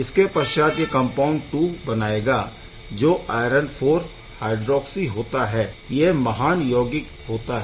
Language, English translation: Hindi, And then compound 2 which is the iron IV hydroxy compounds which are again very great compound to have